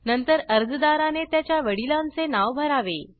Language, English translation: Marathi, Next, Individual applicants should fill in their fathers name